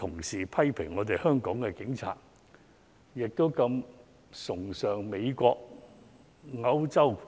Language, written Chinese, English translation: Cantonese, 事實證明，香港警隊的質素是世界公認。, This fact proves that the Hong Kong Police is world renowned for their quality